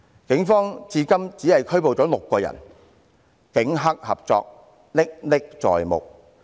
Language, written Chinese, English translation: Cantonese, 警方至今只拘捕了6人，警黑合作歷歷在目。, Only six persons have been arrested so far which clearly demonstrated the cooperation between the Police and gangsters